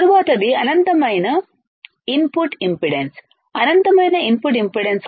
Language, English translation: Telugu, Next one is in finite input impedance in finite input impedance